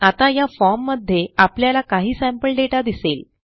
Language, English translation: Marathi, Now, in this form, we see some sample data